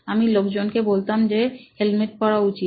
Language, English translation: Bengali, I am assuming a case where they do wear a helmet